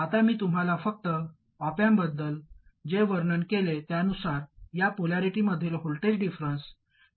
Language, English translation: Marathi, Now, going by what I described to you just about the op amp, the difference voltage in this polarity is VD 0 minus VD